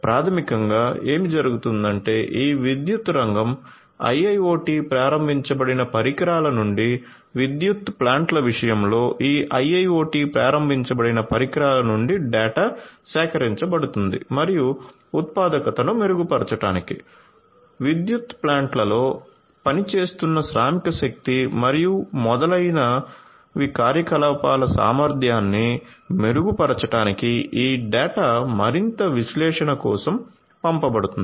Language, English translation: Telugu, So, the basically what happens is, the data are collected from these IIoT enabled devices in the case of power plants from these power sector IIoT enabled devices and these data are sent for further analysis to improve the productivity to improve the efficiency of operations of the workforce that is working in the power plants and so on